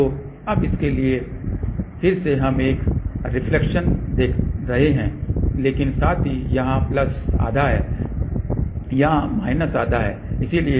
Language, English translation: Hindi, So, for that now, again we are looking at a reflection, but plus half here minus half here